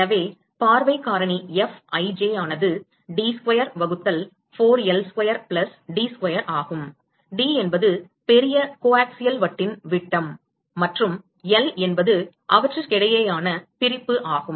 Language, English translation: Tamil, So, the view factor Fij will be D square by 4 L square plus D square, where D is the diameter of the larger coaxial disc and L is the separation between them